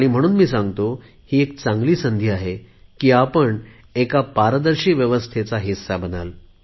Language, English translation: Marathi, And so, this is a good chance for you to become a part of a transparent system